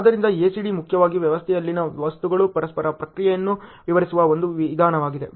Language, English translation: Kannada, So, ACD’s primarily a method to describe the interactions of the objects in a system ok